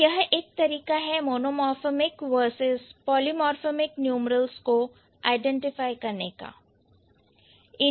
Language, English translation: Hindi, So, that's one way of finding out or one way of, one way of identifying the monomorphic versus polymorphic numerals